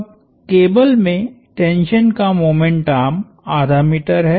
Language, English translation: Hindi, Now the tension in the cable has a moment arm of half a meter